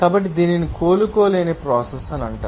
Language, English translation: Telugu, So, it is called the irreversible process